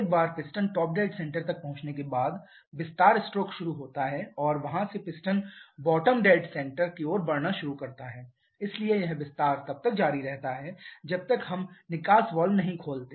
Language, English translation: Hindi, Expansion stroke starts once the piston reaches the top dead center and from there the piston starts to move towards the bottom dead center, so that is the expansion so continues till we open the exhaust valve